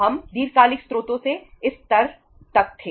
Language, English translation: Hindi, We were up to this level from the long term sources